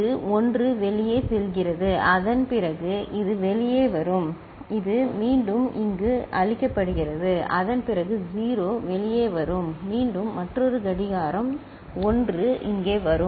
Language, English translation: Tamil, This one is going out and after that this one will come out and this one is fed back here after that 0 will come out and after again another clock 1 will come here